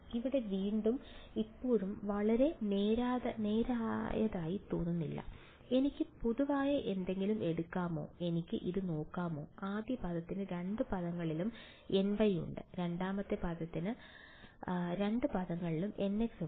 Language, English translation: Malayalam, Again still does not look very very straightforward over here, can I take something common from, can I looking at this the first term has a n y in both the terms, the second term has a n x in both the terms right